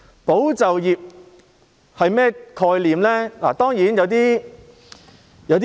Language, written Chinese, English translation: Cantonese, "保就業"的概念是甚麼？, What is the concept of safeguarding employment?